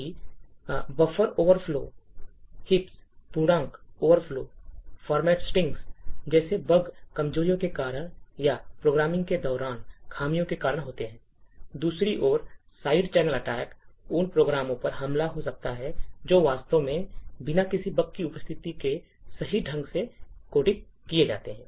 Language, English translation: Hindi, While these like the bugs buffer overflows, heaps, integer overflows and format strings are due to vulnerabilities or due to flaws during the programming, side channel attacks on the other hand, could be attacks on programs which are actually coded correctly without any presence of any bug